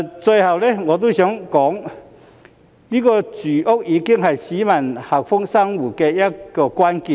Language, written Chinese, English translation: Cantonese, 最後，我想說，住屋已是市民幸福生活的關鍵。, Lastly I would like to say that housing is already a key factor of peoples happy living